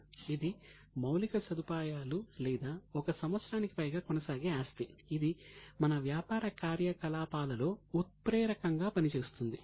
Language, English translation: Telugu, This is a infrastructure or a property which is going to last for more than one year it acts as a catalyst in our operations